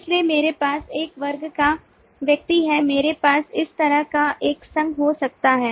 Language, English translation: Hindi, so i have a class person, i may have an association like this